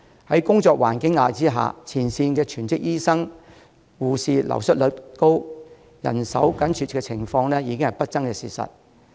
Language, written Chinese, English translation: Cantonese, 在工作環境的壓力下，前線全職醫生、護士流失率高，人手緊絀的情況已經是不爭的事實。, Due to the pressure of the working environment there is a high turnover of full - time doctors and nurses in the front line . The shortage of manpower is simply an obvious fact